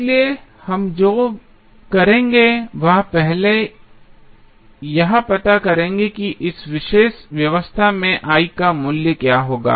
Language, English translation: Hindi, So, what we will do will first find out what would be the value of I in this particular arrangement